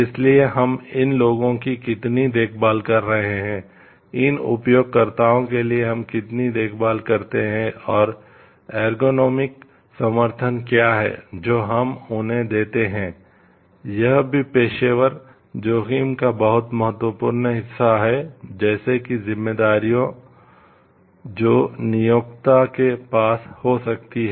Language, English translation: Hindi, So, how much caring we are for these people, what is the degree of care we take for these users and what is the ergonomic support that we give to them are also very important part of the professional risk, like responsibilities that the employers may have towards their employees